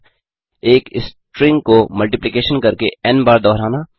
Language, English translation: Hindi, 3.Repeat a string n number of times by doing multiplication